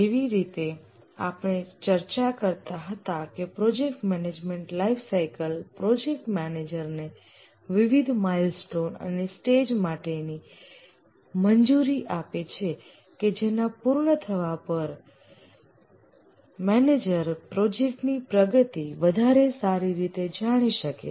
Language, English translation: Gujarati, As we are discussing, the project management lifecycle allows the project manager to have various milestones and stage completion by which the project manager can track the progress of the project more meaningfully